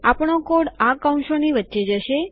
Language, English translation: Gujarati, Our code will go in between the brackets